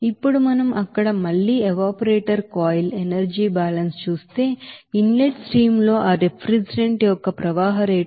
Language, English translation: Telugu, Now, if we do that again evaporator coil energy balance there, we can say that in the inlet streams, the flow rate of that refrigerant is 18